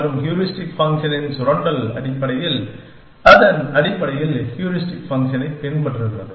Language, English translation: Tamil, And exploitation of the heuristic function essentially, that it basically follows the heuristic function